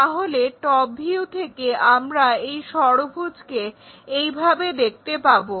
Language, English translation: Bengali, So, in the top view, we will see this hexagon in that way